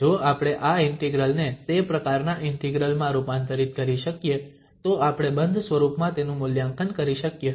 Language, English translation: Gujarati, If we can convert this integral into that type of integral then we can evaluate this in a closed form